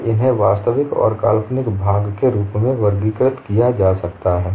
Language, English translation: Hindi, And these could be grouped as real and imaginary part